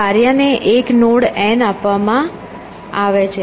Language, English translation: Gujarati, The task is given a new node n